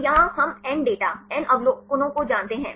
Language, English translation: Hindi, So, here we know n data, n observations